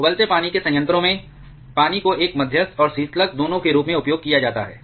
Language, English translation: Hindi, In a boiling water reactor, water is used both as a moderator and coolant